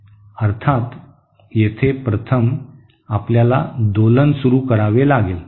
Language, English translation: Marathi, Of course, here first we have to first start oscillation